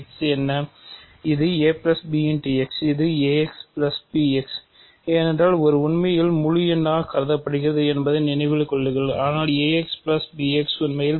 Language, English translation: Tamil, This is a plus b times x, this is ax because remember a is really being thought of as an integer but, ax plus bx is actually phi of ax phi of bx